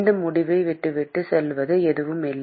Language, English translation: Tamil, There is nothing that is leaving on this end